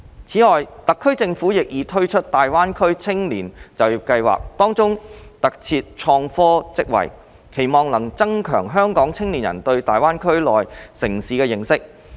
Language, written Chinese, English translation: Cantonese, 此外，特區政府亦已推出大灣區青年就業計劃，當中特設創科職位，期望能增強香港青年人對大灣區內地城市的認識。, In addition the SAR Government has also launched the GBA Youth Employment Scheme offering IT posts with a view to enhancing the understanding of Hong Kong young people about the Mainland cities of GBA